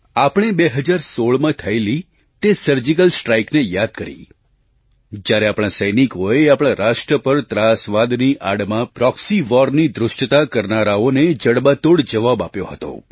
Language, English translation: Gujarati, We remembered that surgical strike carried out in 2016, where our soldiers gave a befitting reply to the audacity of a proxy war under the garb of terrorism